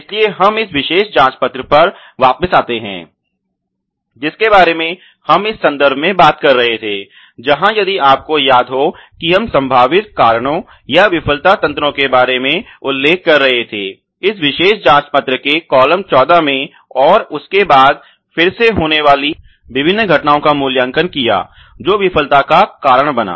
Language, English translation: Hindi, So, let us come back to this particular check sheet that we were talking about in this context where if you may remember we mention about the potential causes or failure mechanisms ok the column 14 of this particular check sheet, and then again rated the occurrence of this particular you know different mechanisms which would cause the failure to happen